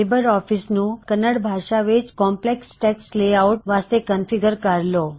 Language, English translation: Punjabi, Configure LibreOffice to select Kannada for Complex Text layout